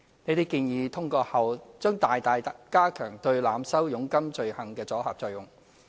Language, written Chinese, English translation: Cantonese, 這些建議通過後，將大大加強對濫收佣金罪行的阻嚇作用。, These proposals if passed will significantly increase the deterrence against the offence of overcharging of commission